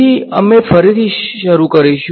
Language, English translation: Gujarati, So, we will start from the top